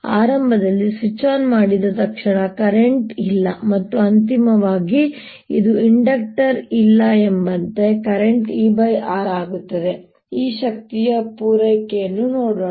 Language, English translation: Kannada, so initially, as soon as switch is turned on, there is no current, and finally, as if there's no inductor there, the current becomes e over r